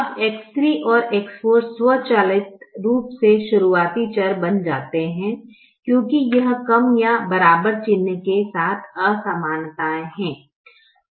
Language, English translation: Hindi, now x three and x four automatically become the starting variables, because these are inequalities with less than or equal to sign